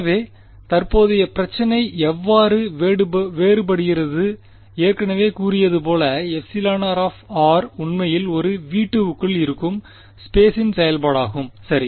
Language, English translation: Tamil, So, how the current problem is different as I have already said that epsilon r is actually a function of space within V 2 right